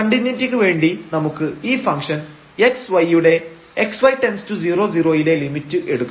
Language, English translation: Malayalam, And, now for continuity we have to take the limit as x y goes to 0 0 of this function whether it is equal to 0 or not